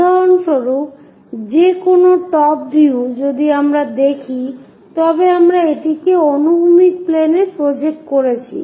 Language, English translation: Bengali, For example, any view top view if we are looking at usually we projected it into onto horizontal planes